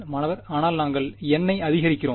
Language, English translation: Tamil, But we are increasing N know